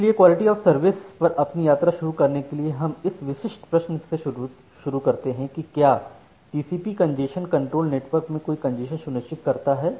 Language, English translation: Hindi, So to start with our journey on quality of services, we start with this specific question that, does this TCP congestion control ensures no congestion in the network